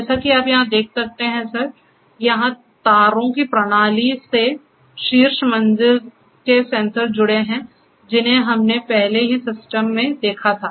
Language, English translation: Hindi, As you can see here sir, the system of wires here are connected to the sensors on the top floor, where we had already seen the system